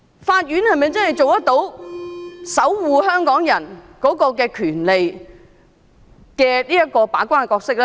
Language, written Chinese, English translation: Cantonese, 法院能否做到守護港人權利的把關角色？, Can the court act as the gatekeeper to safeguard the rights of Hong Kong people?